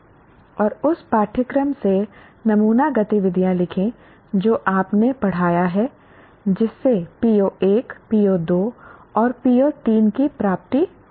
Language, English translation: Hindi, And write sample activities from the course that you taught that can lead to the attainment of P